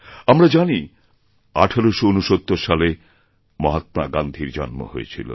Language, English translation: Bengali, We know that Mahatma Gandhi was born in 1869